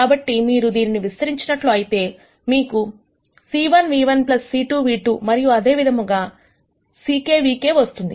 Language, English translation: Telugu, So, if you expand this you will get c 1 nu 1 plus c 2 nu 2 and so on plus c k nu k